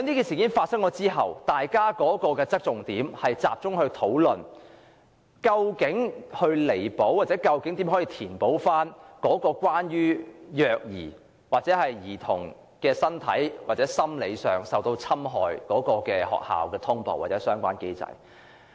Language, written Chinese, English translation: Cantonese, 事件發生後，大家的討論重點，一直集中於學校通報機制，希望找出該機制在處理虐兒或兒童身心受到侵害方面有何不足，並予以彌補。, After the incident we have been focusing our discussions on the notification mechanism for schools with a view to finding out the inadequacies of the mechanism in addressing child abuse cases or cases involving psychological damage and bodily harm caused to children and making up for the inadequacies